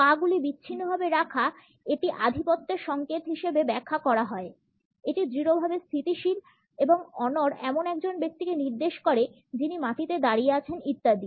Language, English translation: Bengali, Legs apart is rightly interpreted as a signal of dominance, it is resolutely stable and immovable indicates a person who is standing the ground etcetera